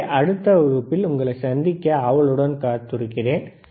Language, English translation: Tamil, So, I look forward to see you in the next class, right